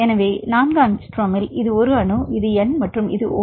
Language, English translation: Tamil, So, in this 4 angstrom for example, this is the 1 atom, this is the N and if you have this is the O